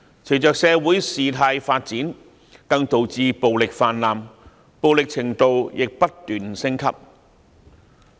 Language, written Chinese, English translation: Cantonese, 隨着社會事態發展，更導致暴力泛濫，暴力程度亦不斷升級。, The development of the social situation has also caused a spread of violence in escalating degrees